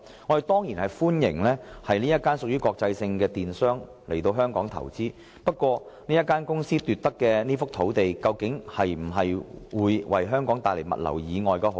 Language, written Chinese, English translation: Cantonese, 我們當然歡迎這家國際性商業機構來港投資，然而，由這個財團投得的這幅用地，究竟將來會否為香港帶來物流以外的好處？, We definitely welcome an international commercial institute like this one to invest in Hong Kong . But the question is Will this of which the land use right is awarded to the consortium bring us benefits other than that related to the logistics industry?